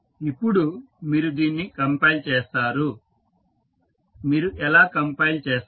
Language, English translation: Telugu, Now, you compile this, how you will compile